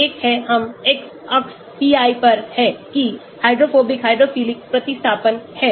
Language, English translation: Hindi, one is the pi we have on the x axis pi, that is the hydrophobic hydrophilic substitution